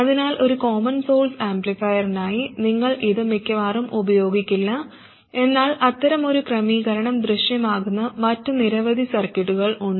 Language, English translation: Malayalam, So just for a common source amplifier you would probably not use, but there are many other circuits in which such an arrangement appears